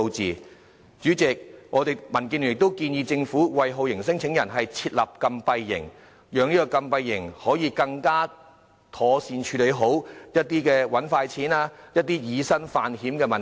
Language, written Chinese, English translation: Cantonese, 代理主席，民建聯亦建議政府，為酷刑聲請人設立禁閉營，以禁閉營來妥善處理一些想"搵快錢"、以身犯險的聲請人問題。, Deputy President DAB also suggests the Government to set up detention camps for torture claimants in order to properly deal with those claimants who will risk their lives for earning quick money